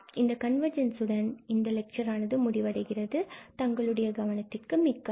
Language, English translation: Tamil, So, that is all on convergence in this lecture and I thank you for your attention